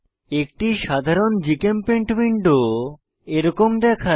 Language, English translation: Bengali, A typical GChemPaint window looks like this